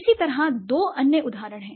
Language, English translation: Hindi, Similarly, there are two other examples